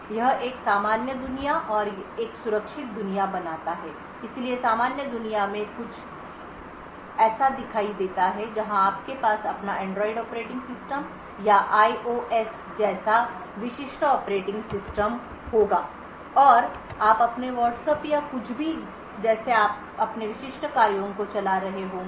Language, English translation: Hindi, It creates a normal world and a secure world so the figure looks something like this so in the normal world is where you would have your typical operating system like your Android operating system or IOS and you would be running your typical tasks like your Whatsapp or anything else so all of them run in this normal world